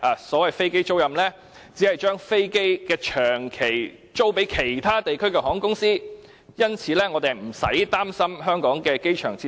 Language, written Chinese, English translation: Cantonese, 所謂飛機租賃，只是把飛機長期租予其他地區的航空公司，因此，我們不用擔心香港的機場設施。, The so - called aircraft leasing in fact means leasing aircraft to overseas airlines on a long - term basis . Hence we do not have to worry about the facilities at the Hong Kong airport